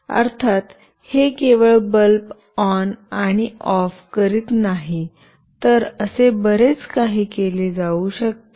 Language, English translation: Marathi, Of course, this is not only switching on and off bulb, there could be many more things that could be done